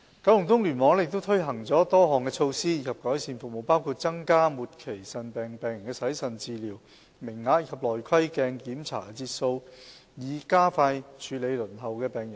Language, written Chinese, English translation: Cantonese, 九龍東聯網亦推行了多項措施以改善服務，包括增加末期腎病病人的洗腎治療名額及內窺鏡檢查節數，以加快處理輪候的病人。, KEC has also implemented a number of initiatives for improvement of services including enhancing the capacity of renal replacement therapy for patients with end - stage renal disease and providing additional endoscopic sessions to expedite the handling of waiting patients